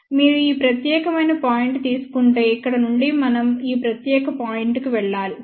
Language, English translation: Telugu, If you take this particular point, then from here we have to move to this particular point, ok